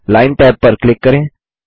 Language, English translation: Hindi, Click the Line tab